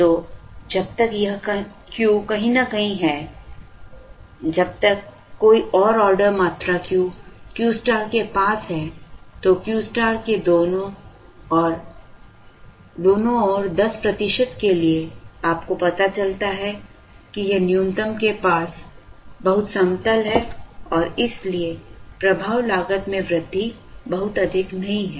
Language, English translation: Hindi, So, as long as this Q is somewhere here, as long as any ordering quantity Q is near Q star, up to say 10 percent on either side of Q star, you realize that it is very flat near the minimum and therefore, the effect of increase in cost is not very high